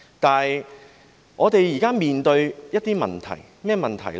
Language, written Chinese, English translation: Cantonese, 但是，我們現正面對一些問題，是甚麼問題呢？, However we are now facing some problems . What problems are they?